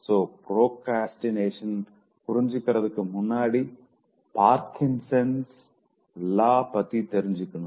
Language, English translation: Tamil, So, before that, in order to understand procrastination, beware of Parkinson's law